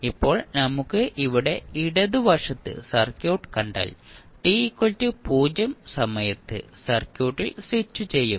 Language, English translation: Malayalam, Now, if you see the circuit at the left you will simply switch off switch on the circuit at time t is equal to 0